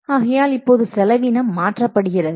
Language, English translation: Tamil, So now the cost is being changed